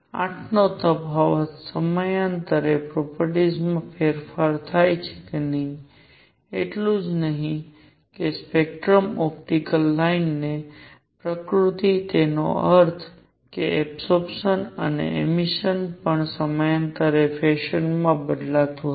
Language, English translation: Gujarati, The difference of 8 periodically the property change, not only that the spectroscopic the nature of optical lines; that means, absorption and emission also varied in periodic fashion